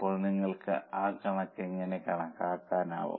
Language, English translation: Malayalam, So, now how will you calculate that figure